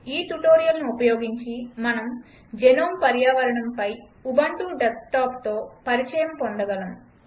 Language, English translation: Telugu, Using this tutorial, we will get familiar with the Ubuntu Desktop on the gnome environment